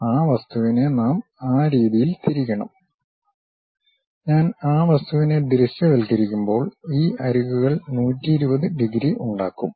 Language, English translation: Malayalam, So, we have to rotate that object in such a way that; when I visualize that object, these edges supposed to make 120 degrees